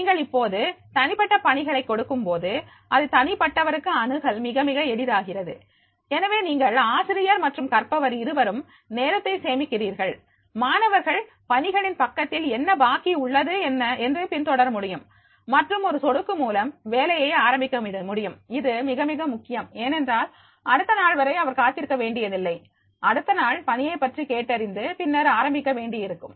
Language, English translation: Tamil, Now, if you are giving that the individual assignments, so therefore it becomes very, very easy access for an individual, so you are the teacher and the learner both are saving time, students can keep track of what is due on the assignment page and begin working with just a click, this is also a very, very important like he is did not to wait for the next day, that he has to ask for the assignment next day and then he has to start